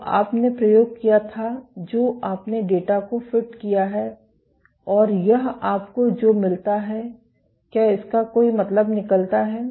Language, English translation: Hindi, So, you did the experiment you fit the data and this is what you get does it make sense